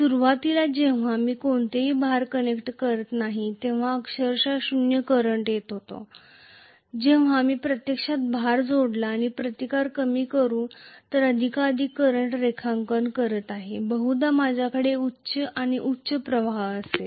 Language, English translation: Marathi, Initially when I did not connect any load I was having literally 0 current, when I have actually connected a load and I am drawing more and more current by reducing the resistance probably I am going to have higher and higher current